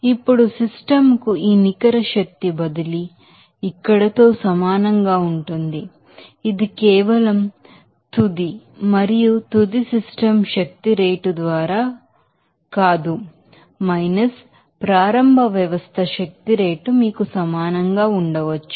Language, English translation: Telugu, Now this net energy transfer to the system will be equal to here that energy that is not just by rate of final and final system energy rate of initial system energy can be you know equated